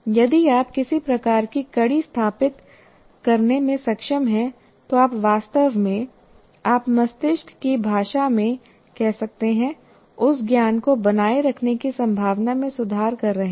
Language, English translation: Hindi, If you are able to establish some kind of a link, then you are actually really, you can say in the language of the brain that you are improving the chances of retention of that knowledge